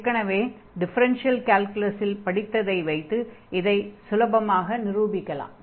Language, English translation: Tamil, So, we already discuss in previous lectures in differential calculus